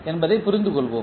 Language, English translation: Tamil, Let us understand what does it mean